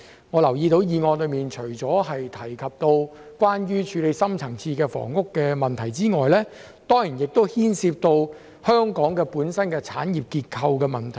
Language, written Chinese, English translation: Cantonese, 我留意到議案除提及處理深層次的房屋問題外，也涉及香港本身的產業結構問題。, I notice that apart from bringing up the need to deal with the deep - seated housing problem the motion also involves problems with the industrial structure of Hong Kong itself